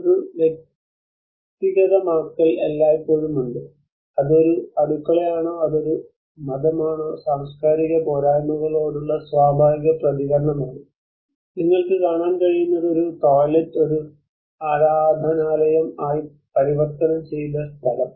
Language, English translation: Malayalam, There is always a personalization is a natural response to the cultural deficiencies whether it is a kitchen, whether it is a religious, what you can see is a toilet has been converted as a worship place